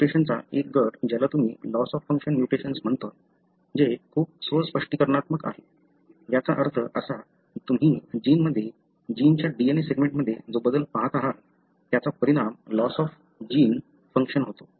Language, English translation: Marathi, One group of mutation you call as loss of function mutation, which is very self explanatory, meaning that the change that you see in a gene, the DNA segment of a gene, results in the loss of the genes function